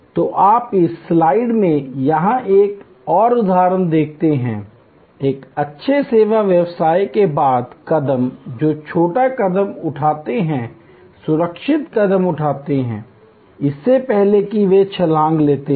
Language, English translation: Hindi, So, you see another example here in this slide, the steps followed by a good service business, which takes small steps, secure steps, before they take the leap